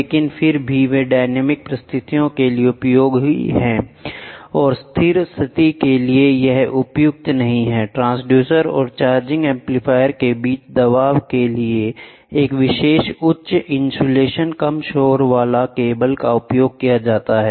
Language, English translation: Hindi, But, nevertheless they are intended for dynamic condition and not for static condition or pressure between the transducer and the charged amplifier a special high insulation low noise cable is used